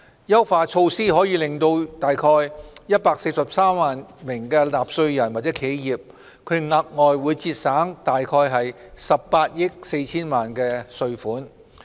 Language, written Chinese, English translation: Cantonese, 優化措施可令約143萬名納稅人或企業額外節省約18億 4,000 萬元稅款。, The enhanced measures may save an additional 1.84 billion in taxes for about 1.43 million taxpayers or enterprises